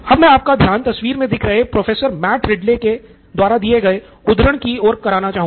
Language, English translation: Hindi, I would like to point you out to the quote that I have on the screen by Matt, Prof Matt Ridley